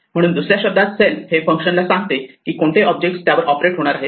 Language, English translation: Marathi, So, self in other words, tells the function which object it is operating on itself